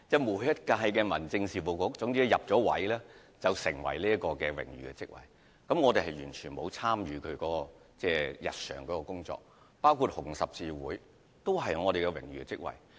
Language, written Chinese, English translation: Cantonese, 所有新上任的民政事務局局長均會擔當這些榮譽職位，但卻完全不會參與日常的工作，例如我也在紅十字會擔任榮譽職位。, Although all Secretaries of Home Affairs would take up these honorary posts once they assume office they will not involve in the day - to - day operations just as the case of my holding an honorary post in the Hong Kong Red Cross